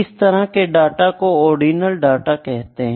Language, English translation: Hindi, That kind of data is known as ordinal data